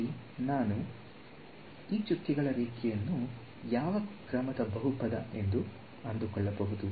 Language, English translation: Kannada, Here I fit this dotted line was a polynomial of what order